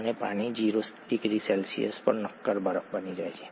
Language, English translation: Gujarati, And water becomes a solid ice at 0 degree C